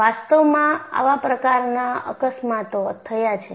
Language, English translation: Gujarati, In fact, such accidents have happened